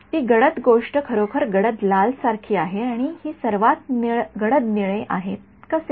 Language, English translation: Marathi, The dark thing that actually that that is like the darkest red and this is the darkest blue that is how